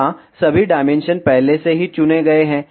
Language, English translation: Hindi, Here all the dimensions are already selected